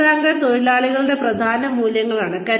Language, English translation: Malayalam, Career anchors are, core values of workers